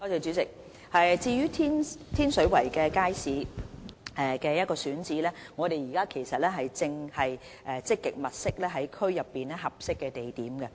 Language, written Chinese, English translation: Cantonese, 主席，對於天水圍街市的選址，我們現時正積極在區內物色合適地點。, President regarding the siting of the Tin Shui Wai market we are now making proactive efforts to identify a suitable site in the district